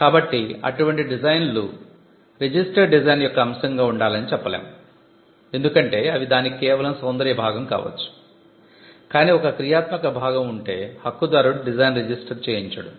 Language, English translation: Telugu, So, we do not say such design should be the subject matter of a registered design because, they could be an aesthetic part to it, but if there is a functional part right holder will not go for a registered design